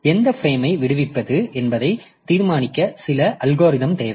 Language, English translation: Tamil, So, we need some algorithm to decide which frame to free